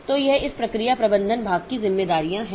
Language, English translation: Hindi, So, this is the responsibilities of this process management part